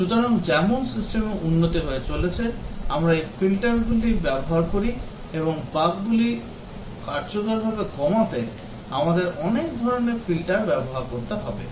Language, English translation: Bengali, So, as the system development proceeds, we use these filters, and we need to use many types of filters to effectively reduce the bugs